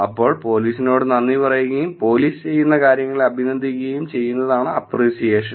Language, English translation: Malayalam, Then it is appreciation which is talking about thanks to police and appreciating the things that police does